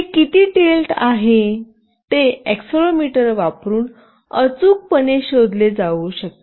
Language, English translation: Marathi, How much it is tilted can be accurately found out using the accelerometer